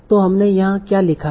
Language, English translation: Hindi, So here that's what we are defining